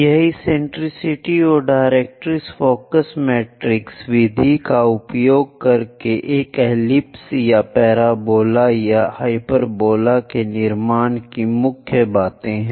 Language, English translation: Hindi, This eccentricity and directrix are the main things to construct an ellipse or parabola or hyperbola using focus directrix method